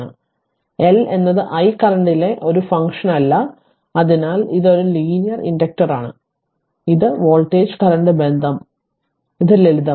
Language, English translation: Malayalam, So, L is not a function of I current right so it is an need then it is linear inductor right, so this the voltage current relationship simple it is